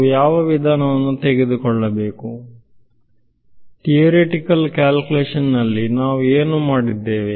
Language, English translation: Kannada, So, what approach should we take, what we did in the theoretical calculation